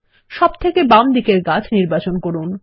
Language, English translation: Bengali, Let us select the left most tree